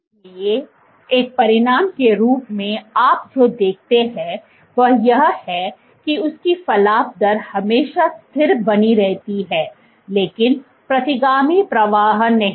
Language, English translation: Hindi, So, as a consequence what you find is, its protrusion rate is always maintained constant, but the retrograde flow